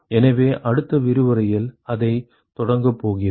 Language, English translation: Tamil, So, we are going to start with that in the next lecture